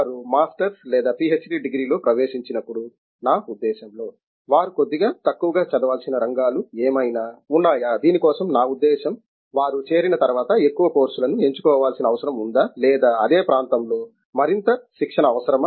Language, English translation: Telugu, I mean when they get into a masters or a PhD degree, are there certain areas that may be their preparations in generals tends to be a little less for which I mean after they joined their required to pick up more maybe more courses or have some more preparation in those areas